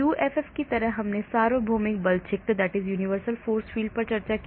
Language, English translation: Hindi, UFF like I said universal force field